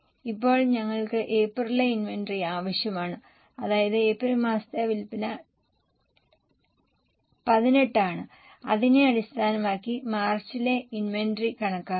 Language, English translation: Malayalam, Now, we will need the inventory of April, I mean sale of April which is 18 based on that compute the inventory for March